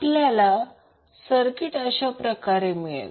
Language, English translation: Marathi, So, you will get the circuit like this